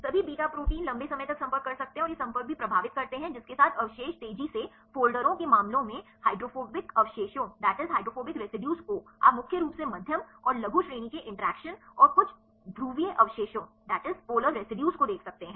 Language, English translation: Hindi, All beta proteins can long range contacts and also these contacts influence with which residues hydrophobic residues in the case of a fast folders you can see mainly the medium and short range interactions and some of the polar residues are dominant